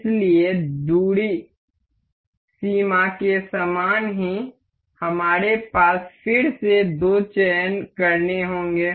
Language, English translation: Hindi, So, same as in distance limit, we have again the two selections to be made